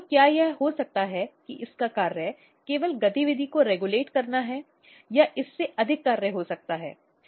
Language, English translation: Hindi, So, could it be just that its function is only to regulate the activity or can it had more function